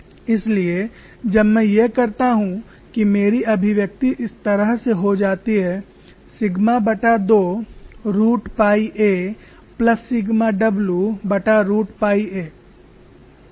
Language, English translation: Hindi, So when I do that my expression turns out to be one and half of sigma root pi a plus sigma w divided by root of pi a